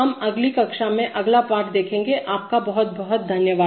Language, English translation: Hindi, We see for see the next lesson in the next class, thank you very much